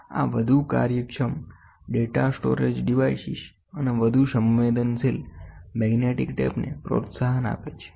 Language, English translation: Gujarati, This gives a boost to more efficient data storage devices and more sensitive magnetic tapes